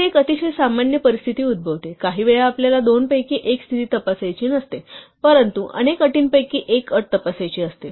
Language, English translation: Marathi, Here is a very common situation that occurs; sometimes we do not want to check between one of two conditions, but one of many conditions